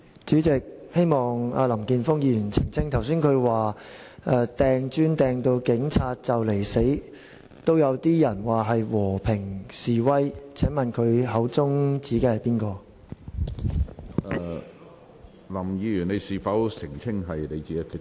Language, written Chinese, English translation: Cantonese, 主席，希望林健鋒議員澄清，他剛才說拋擲磚頭致使警察幾乎喪命也有人說是和平示威，請問他口中所指的是誰？, President Mr Jeffrey LAM said just now in his speech that some people claimed that cases of throwing bricks that almost caused death of police officers were peaceful demonstrations . I would like to ask him whom he was referring to